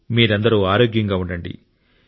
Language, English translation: Telugu, And you stay healthy